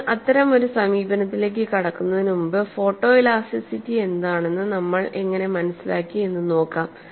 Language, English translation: Malayalam, So, before we go into that kind of an approach, we will look at how we understood what photo elasticity is